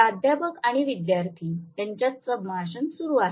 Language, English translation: Marathi, Conversation between professor and student starts